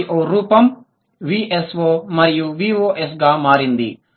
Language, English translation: Telugu, SVO might go to VSO, VOS